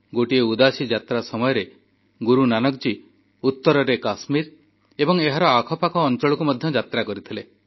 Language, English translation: Odia, During one Udaasi, Gurunanak Dev Ji travelled north to Kashmir and neighboring areas